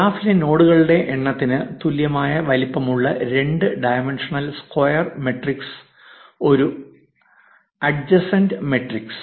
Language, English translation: Malayalam, An adjacency matrix is a 2 dimensional square matrix whose size is equal to the number of nodes in the graph